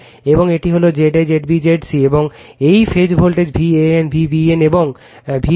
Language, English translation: Bengali, And this is Z a, Z b, Z c, and this phase voltage V AN, V BN and V CN